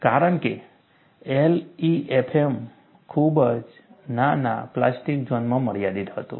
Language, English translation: Gujarati, Because, LEFM was confined to very small plastic zone